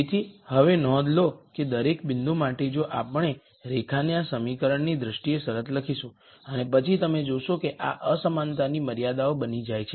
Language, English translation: Gujarati, So, now, notice that for each point if we were to write the condition in terms of the equation of the line and then you would see that these become inequality constraints